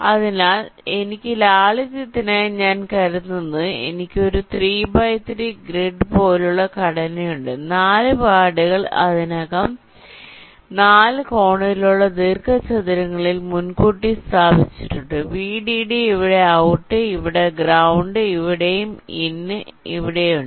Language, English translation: Malayalam, so i am assuming, for simplicity, that i have a three by three grid like structure a very small sub problem for illustration where the four pads are already p pre placed in the four corner rectangles: vdd is here, out is here, ground is here and in is here